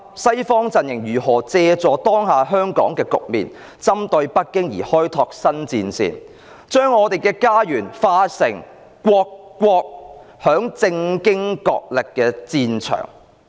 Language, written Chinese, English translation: Cantonese, 西方陣營如何借助當下香港的局面，針對北京而開拓新戰線，將我們的家園變成為各國在政經角力的戰場？, How has the Western bloc used the current situation of Hong Kong to open up new battlefronts against China and make our homeland a political and economic battlefield of many countries?